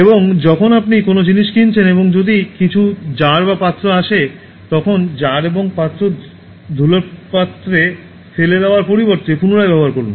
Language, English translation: Bengali, And when you are buying something and if it comes in some jars or containers, reuse jars and containers instead of throwing them in dust bins